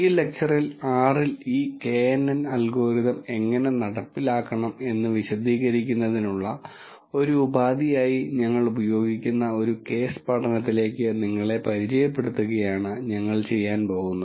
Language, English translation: Malayalam, In this lecture, what we are going to do is to introduce you to a case study which we use as a means to explain how to implement this knn algorithm in R